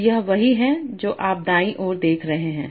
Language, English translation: Hindi, So this is you are seeing in the right hand side